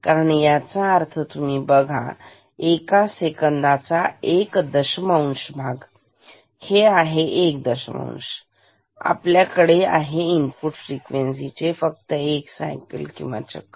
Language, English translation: Marathi, Because this I mean you just see this is one tenth of a second and this one tenth of second; we have only one cycle of the input frequency